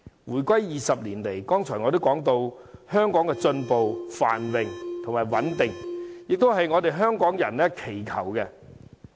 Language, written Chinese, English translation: Cantonese, 回歸20年間，正如我剛才也提到，香港一直進步、繁榮和穩定，這也是香港人所祈求的。, It has been 20 years since Hong Kongs reunification . As I said a moment ago Hong Kong has been maintaining progress prosperity and stability which is also in line with the peoples aspiration